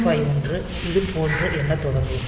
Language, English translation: Tamil, So, 8051 will start counting like this